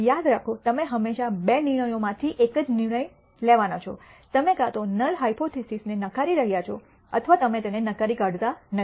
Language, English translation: Gujarati, Remember the only one of two decisions you have always going to make, you are either going to reject the null hypothesis or you are not going to reject it